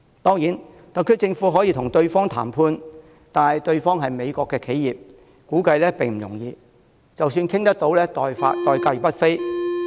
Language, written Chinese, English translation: Cantonese, 當然，特區政府可與對方談判，但對方是美國企業，估計並不容易；即使談妥，代價亦不菲。, The Government may certainly negotiate with TWDC but I do not think that it would be an easy task considering that the party is an American enterprise . Even if the negotiation is successful the price to be paid will be high